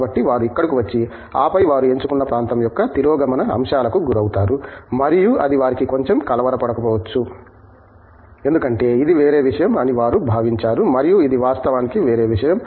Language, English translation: Telugu, So, they come here and then they are exposed to the regress aspects of the area that they have chosen and that might perhaps be little bit unsettling for them because, they thought it was something else and this is actually something else